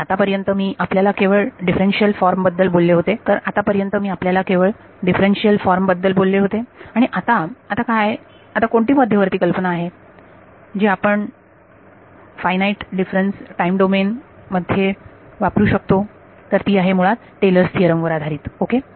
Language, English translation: Marathi, So, so far I have only told about the differential form and now what is the what is the central ideas that you use in finite differences time domain it is basically built on Taylor’s theorem ok